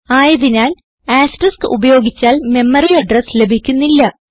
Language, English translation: Malayalam, So using asterisk will not give the memory address